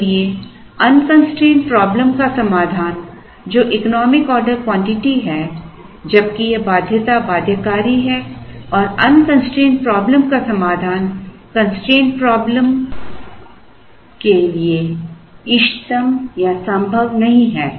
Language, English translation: Hindi, Therefore, the solution to the unconstraint problem which is the economic order quantity while it is the constraints and the constraint is binding and the solution to the unconstraint problem is not optimum or feasible to the constraint problem